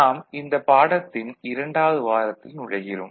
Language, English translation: Tamil, Hello everybody, we enter week 2 of this course